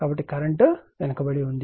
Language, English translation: Telugu, So, current is lagging